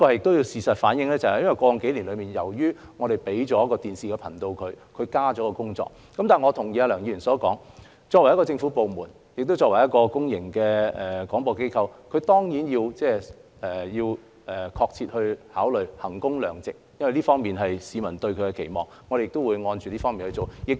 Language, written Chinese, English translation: Cantonese, 當然，事實也反映，過去數年由於我們給了港台一個電視頻道，因此工作量增加了，但我同意梁議員所說，作為一個政府部門及公共廣播機構，港台當然要確切考慮衡工量值的問題，因為這是市民對港台的期望，我們亦會按照此方面處理。, Of course as evident from the facts the workload of RTHK has increased in the past few years because it was assigned a TV channel but I agree with Mr LEUNG that as a government department and public service broadcaster RTHK certainly has to properly consider the issue of value for money because this is what the public expect of it . We will also deal with it along the same lines